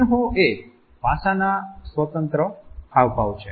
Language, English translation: Gujarati, Emblems are a speech independent gestures